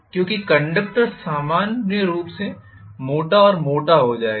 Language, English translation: Hindi, Because the conductors will be thicker and thicker normally